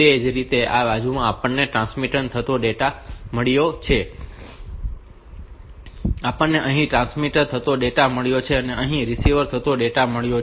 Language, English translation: Gujarati, Similarly for this side we have got the transmit data, we have got transmit data here and the receive data here